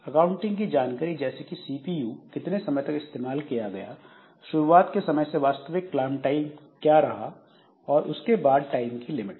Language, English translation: Hindi, So, accounting information like the CPU, how much time the CPU is used, what is the actual clock time from the start time, then time limits